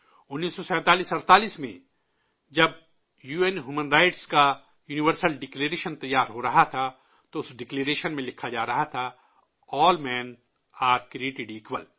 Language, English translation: Urdu, In 194748, when the Universal Declaration of UN Human Rights was being drafted, it was being inscribed in that Declaration "All Men are Created Equal"